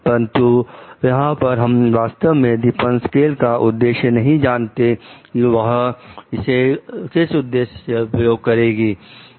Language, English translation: Hindi, But here we do not know exactly for what purpose like Depasquale will be using her